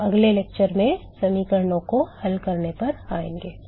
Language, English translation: Hindi, We will come to solving the equations in the next lecture